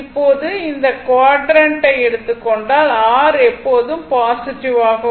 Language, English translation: Tamil, Now, if you take this quadrant R is always positive, so R should be somewhere here on this axis